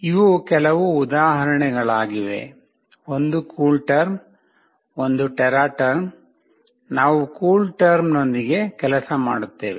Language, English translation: Kannada, These are some example, one is CoolTerm, one is TeraTerm, we will be working with CoolTerm